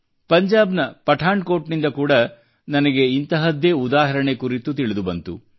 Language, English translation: Kannada, I have come to know of a similar example from Pathankot, Punjab